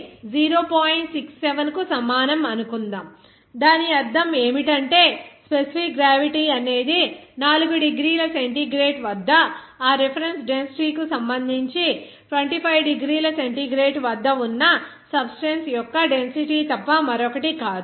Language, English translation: Telugu, 67, what does it mean that this specific gravity is nothing but that density of the substance at 25 degree centigrade relative to that reference density at 4 degrees centigrade